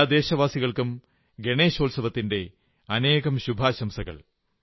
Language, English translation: Malayalam, My heartiest greetings to all of you on the occasion of Ganeshotsav